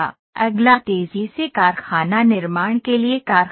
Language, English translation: Hindi, Next is factory for rapid factory manufacturing